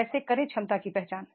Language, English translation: Hindi, How to identify the potential